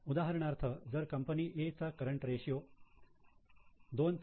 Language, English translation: Marathi, So, for example if company A has current ratio of 2